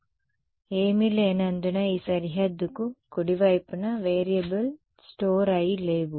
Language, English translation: Telugu, So, because there is nothing there is no variable store to the right of this boundary